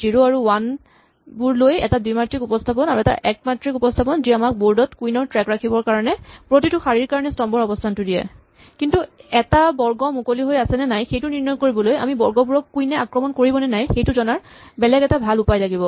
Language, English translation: Assamese, So, we had two representations, a two dimensional representation with 0s and ones and a one dimensional representation which gives us the column position for each row to keep track of the queens in the board, but in order to determine whether a square is free or not, we need to have a better way to compute how the squares are attacked by queens